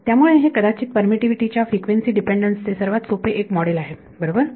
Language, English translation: Marathi, So, this is perhaps one of the simplest models for frequency dependence of permittivity right